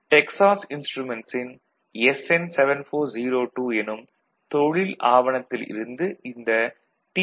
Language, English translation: Tamil, So, I have taken from a Texas instrument say, SN7402 technical document